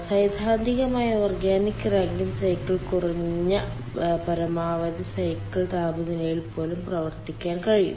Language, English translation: Malayalam, theoretically, organic rankine cycle can run even for lower maximum cycle temperature